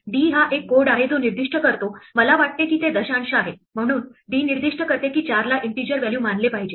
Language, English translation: Marathi, D is a code that specifies, I think it stands for decimal, so d specifies that 4 should be treated as an integer value